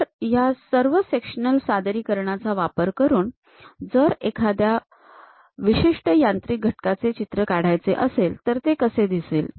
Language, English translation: Marathi, So, using all these sectional representation; if there is a drawing of typical machine element, how it looks like